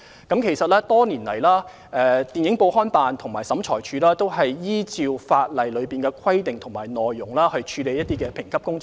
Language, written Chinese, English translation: Cantonese, 多年來，電影、報刊及物品管理辦事處和審裁處均按照《條例》的規定和條文處理評級工作。, For years the Office for Film Newspaper and Article Administration and OAT have handled the classification work in accordance with the provisions of COIAO